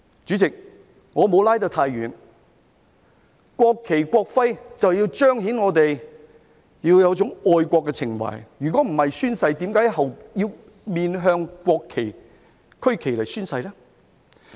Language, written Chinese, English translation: Cantonese, 主席，我沒有拉得太遠，國旗、國徽就是要彰顯我們要有一種愛國情懷，否則宣誓時，我們為何要面向國旗、區旗來宣誓呢？, The purpose of the national flag and national emblem is to show that we have patriotic sentiments; otherwise we will not be required to face the national flag and the Hong Kong SAR flag during oath - taking